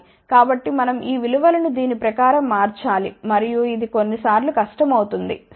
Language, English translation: Telugu, So, we have to change these values according to that and this becomes difficult sometimes ok